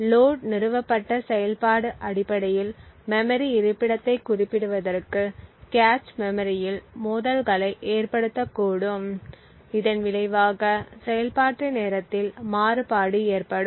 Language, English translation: Tamil, Essentially the load installed operation to specify memory location could cause conflicts in the cache memory resulting in a variation in the execution time